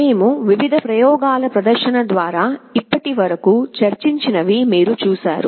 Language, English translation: Telugu, You have seen through the various demonstration experiments that we have discussed so far